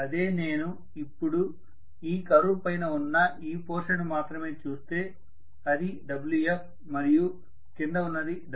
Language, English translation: Telugu, Whereas now if I am looking at only this the portion above this curve Wf and below that is Wf dash